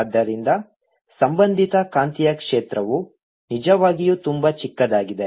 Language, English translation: Kannada, so associated magnetic field is really very, very small